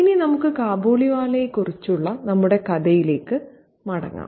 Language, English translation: Malayalam, Now, let's come back to our story in question the Khabliwala